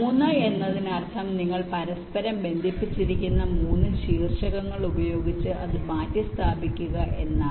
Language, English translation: Malayalam, three means you replace it by three vertices which are connected among themselves